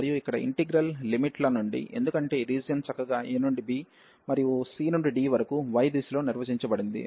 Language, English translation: Telugu, And since the integral limits here, because the region was nicely define from a to b and the c to d in the direction of y